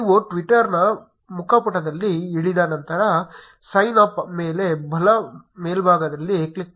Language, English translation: Kannada, After you land up on the twitter's home page, on the top right click on sign up